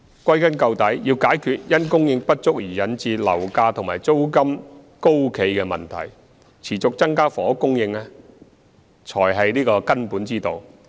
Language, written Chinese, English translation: Cantonese, 歸根究底，要解決因供應不足而引致樓價和租金高企的問題，持續增加房屋供應才是根本之道。, The continued increase in housing supply remains the fundamental solution to the problems of surging housing price and rent caused by insufficient supply